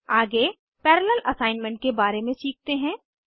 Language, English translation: Hindi, Next, let us learn about parallel assignment